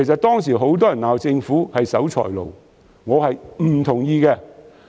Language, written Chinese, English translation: Cantonese, 當時很多人罵政府是守財奴，我並不同意。, At that time many people accused the Government of being a miser but I disagreed